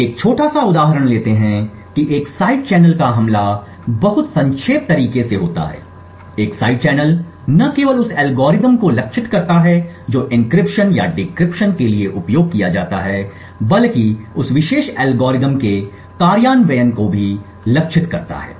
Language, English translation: Hindi, So will take a small example of what a side channel attack is in a very abstract way, a side channel not only targets the algorithm that is used for encryption or decryption but also targets the implementation of that particular algorithm